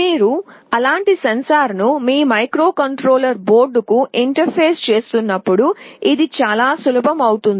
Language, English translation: Telugu, When you are interfacing such a sensor to your microcontroller board, it becomes very easy